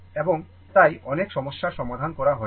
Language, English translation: Bengali, And so, many problems we have solved